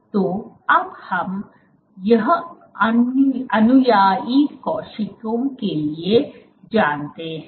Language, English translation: Hindi, So, now, we know that for adherent cells